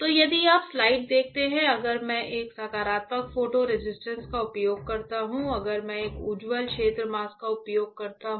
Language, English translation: Hindi, So, if you see the slide; if I use a positive photo resist positive photo resist alright and I use a bright field mask